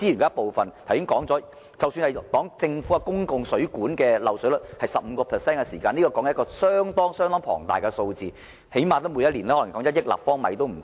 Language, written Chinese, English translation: Cantonese, 剛才說過，即使政府公共水管的漏水率是 15%， 但亦是一個相當龐大的數字，即每年起碼約1億立方米的水。, As I have just mentioned even if the leakage rate of public water mains is 15 % it is still a large figure which is equivalent to at least 100 million cu m of water per year